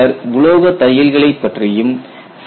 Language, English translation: Tamil, Then we also saw metallic stitching